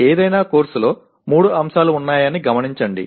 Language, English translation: Telugu, Note that there are three elements of any course